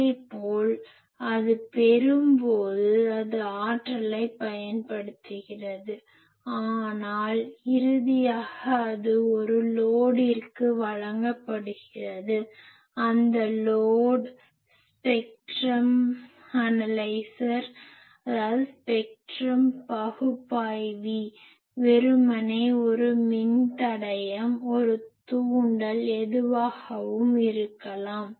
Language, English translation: Tamil, Similarly, when it is receiving; it is taking the power; but finally, it is delivering it to a load, that load maybe a spectrum analyser, that load maybe simply a resistor, that load maybe simply an inductor anything